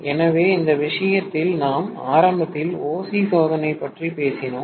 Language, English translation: Tamil, So, in this case we initially talked about OC test